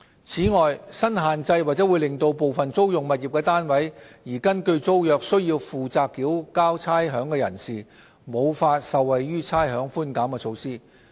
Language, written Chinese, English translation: Cantonese, 此外，新限制或會令部分租用物業單位而根據租約須負責繳交差餉的人士，無法受惠於差餉寬減措施。, In addition the new restriction may exclude those tenants who are required to pay rates by the terms of a tenancy agreement from benefiting from the rates concession measure